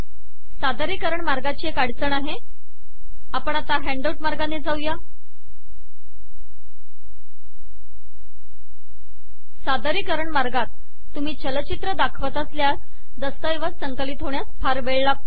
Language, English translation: Marathi, The problem with the presentation mode, we are now going to the handout mode, the presentation mode where you show the animations generally takes a lot of time to compile